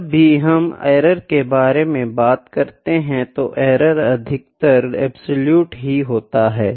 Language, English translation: Hindi, Now when we talk about the error, errors are absolute terms mostly